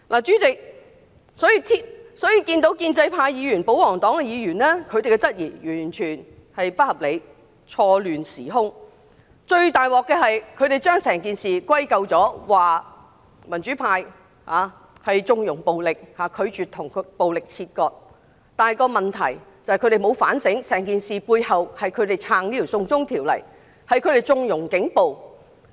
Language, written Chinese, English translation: Cantonese, 主席，建制派及保皇黨議員的質疑完全不合理，是混淆時空，而最大的問題是，他們把整件事歸咎於民主派縱容暴力，拒絕跟暴力切割，但他們沒有反省整件事背後，是他們支持這項"送中條例"及縱容警暴所致。, President the queries raised by the pro - establishment or royalist Members are totally unreasonable . They confused the time and space . The biggest problem was that they laid the blame of the whole incident on the democratic Members connivance of violence and refusal to sever ties with violence